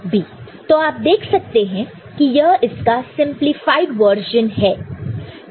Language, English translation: Hindi, You can see that this is you know the simplified version of it